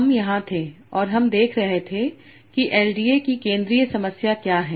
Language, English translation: Hindi, So we were here and we were seeing that what is the central problem of LDA